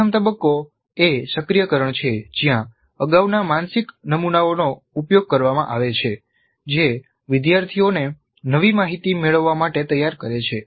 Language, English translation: Gujarati, So the first phase is activation where the prior mental models are invoked, preparing the learners to receive the new information